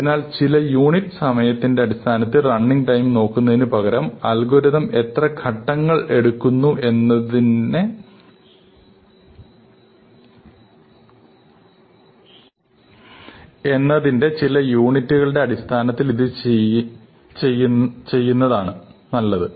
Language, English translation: Malayalam, So, instead of looking at the concrete running time in terms of some units of time, it is better to do it in terms of the some abstracts units of how many steps the algorithm takes